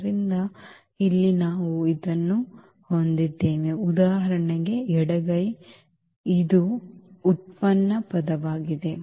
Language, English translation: Kannada, So, here we have this; the left hand side for example, this is the derivative term